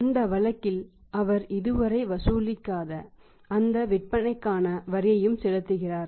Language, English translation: Tamil, In that case he is paying the tax on those sales also which he has not yet collected